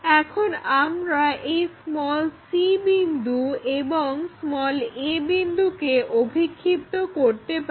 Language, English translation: Bengali, Now, we can project this c point and a point